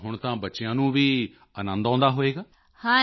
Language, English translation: Punjabi, So now even the children must be happy